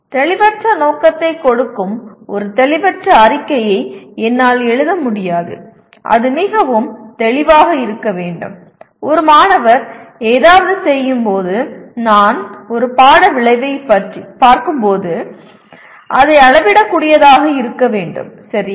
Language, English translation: Tamil, I cannot write a vague statement giving a vague intent and it has to be very clear and when a student performs something I should be, when I look at a course outcome it should be measurable, okay